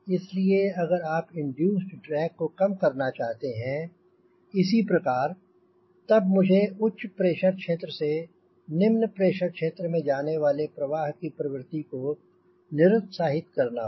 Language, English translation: Hindi, so if you want to reduce this induced drag somehow, i should discourage the tendency of the flow from high pressure to lower pressure region